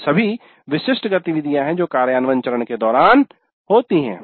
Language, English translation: Hindi, These are all the typical activities that take place during the implement phase